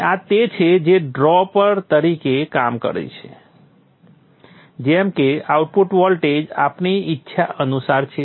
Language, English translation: Gujarati, Now this is what will act as the drop such that the output voltage is according to our wishes